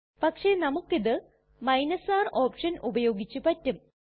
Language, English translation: Malayalam, But using the R option we can do this